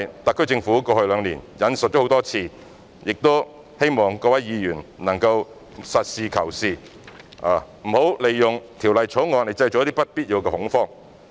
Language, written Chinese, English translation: Cantonese, 特區政府在過去兩年引述了這宗案例很多次，我希望各位議員能夠實事求是，不應利用《條例草案》製造不必要的恐慌。, The SAR Government has cited this case law time and again over the past two years . I hope Members can be pragmatic and they should not make use of the Bill to create unnecessary panic